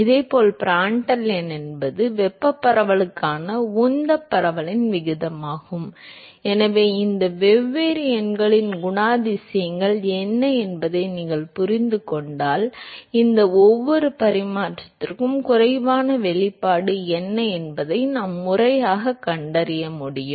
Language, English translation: Tamil, Similarly Prandtl number is the ratio of momentum diffusivity to thermal diffusivity So, if you know what, if you understand what these different numbers characterized that is good enough we should actually be able to systematically find out what is the expression for each of these dimension less quantity